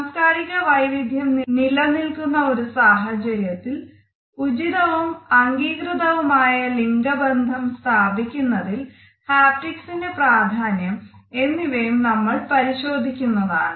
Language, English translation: Malayalam, We would also analyze what is the significance of haptics in establishing appropriate and acceptable gender relationship in a multicultural setting